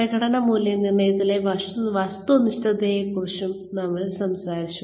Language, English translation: Malayalam, We also talked about, objectivity in performance appraisals